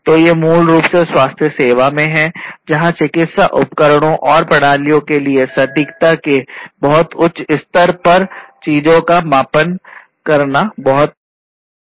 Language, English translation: Hindi, So, these basically you know in healthcare as you know that what is very important is to have medical devices and systems, which will measure things at a very high level of accuracy